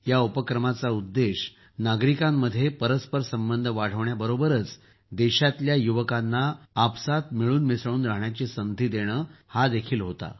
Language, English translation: Marathi, The objective of this initiative is to increase People to People Connect as well as to give an opportunity to the youth of the country to mingle with each other